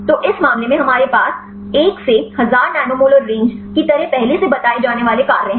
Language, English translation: Hindi, So, in this case we have the actives already reported like the 1 to 1000 nanomolar range